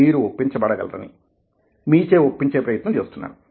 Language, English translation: Telugu, try to see the fact that you can be persuaded